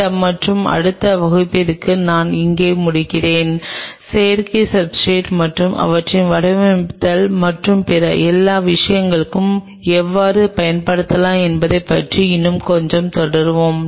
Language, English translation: Tamil, I will close in here with this and next class we will continue little bit more on synthetic substrate and how these could be used for patterning and all other things